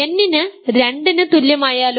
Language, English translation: Malayalam, What about n equal to 2